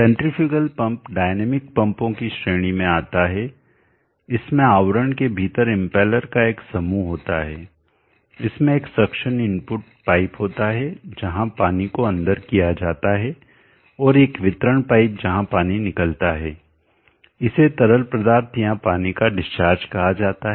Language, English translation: Hindi, The centrifugal pump comes under the class of dynamic pumps, it has a set of impellers within a case, it has a suction input piper where the water is admitted in, and a delivery pipe where the water goes out it is called the discharge of the fluid of the water